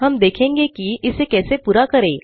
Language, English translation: Hindi, Let us see how to accomplish this